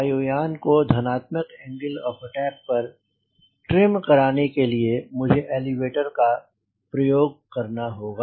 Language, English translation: Hindi, to trim that aero plane, the positive angle of attack, i will have to use elevator